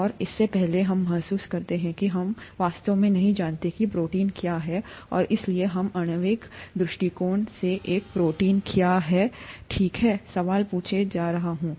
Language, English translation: Hindi, And before that, we realise we don’t really know what a protein is, and therefore we are going to ask the question, from a molecular point of view, what is a protein, okay